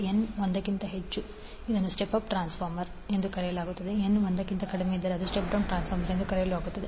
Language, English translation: Kannada, When N greater than one it means that the we have the step of transformer and when N is less than one it is called step down transformer